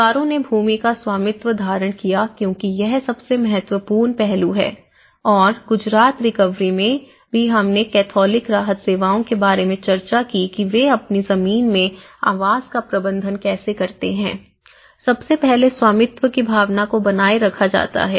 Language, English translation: Hindi, And the families held the ownership of the land because in this aspect the main important aspect and the Gujarat recovery also we did discussed about the catholic relief services how they manage the housing in their own land because first of all, the sense of ownership is retained as it is okay